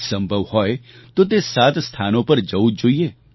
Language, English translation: Gujarati, If possible, one must visit these seven places